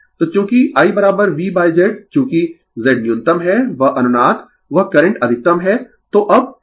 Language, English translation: Hindi, So, since I is equal to V by Z as the Z is minimum that resonance that current is maximum right so, now, angle